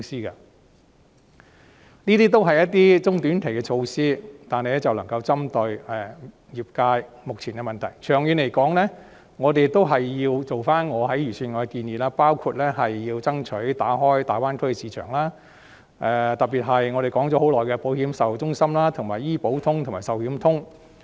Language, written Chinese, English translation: Cantonese, 上述均是中短期措施，但能夠針對業界目前的問題，長遠而言，政府仍然需要考慮我就預算案提出的建議，包括爭取打開大灣區市場，特別是我們說了很久的保險售後中心、醫保通和壽險通。, All of the above are short and medium - term measures but they can all target the existing problems of the sector . In the long run the Government still needs to consider my proposals concerning the Budget including striving to open up the market of the Greater Bay Area and particularly insurance after - sale centres Health Insurance Connect and Life Insurance Connect which we have long been talking about